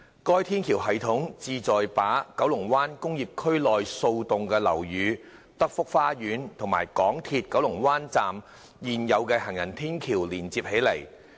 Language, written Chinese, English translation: Cantonese, 該天橋系統旨在把九龍灣工業區內數座樓宇、德福花園和港鐵九龍灣站的現有行人天橋連接起來。, The elevated walkway system aims to link up several buildings in the Kowloon Bay Industrial Area Telford Gardens and the existing footbridge to the MTR Kowloon Bay Station